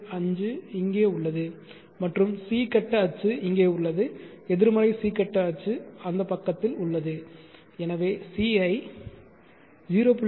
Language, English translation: Tamil, 5 is here and C phase axis is here negative C phase axis is on that side so as I see point five